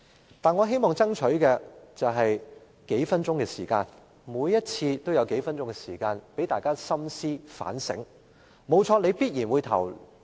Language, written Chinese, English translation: Cantonese, 然而，我希望爭取多數分鐘時間，在每次點名表決前讓議員深思反省。, However I hope to strive for a few more minutes for Members to think deeply and reflect on the amendments before each division